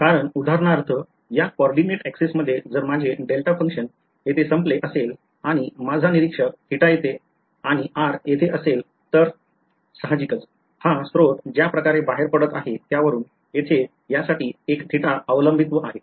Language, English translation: Marathi, Because if for example, in this coordinate axis if my delta function is over here and my observer is over here at theta and r then; obviously, the way this source is emitting there is a theta dependence for this guy over here